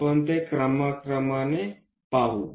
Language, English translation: Marathi, We will see that step by step